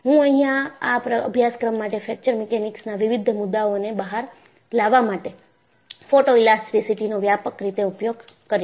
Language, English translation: Gujarati, And, I would use extensively, the use of photoelasticity in bringing out various concepts of Fracture Mechanics in this course